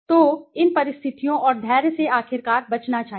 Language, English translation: Hindi, So, one should avoid these situation and patience finally